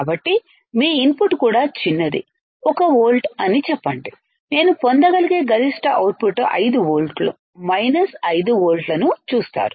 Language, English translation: Telugu, So, even your output input is small, let us say 1 volt, the maximum output that I can get is you see 5 volts, minus 5 volts